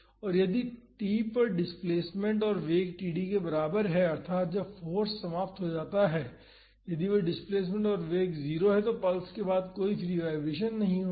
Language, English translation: Hindi, And, if the displacement and velocity at t is equal to td that is when the force ends, if that displacement and velocity are 0 then there is no free vibration after the pulse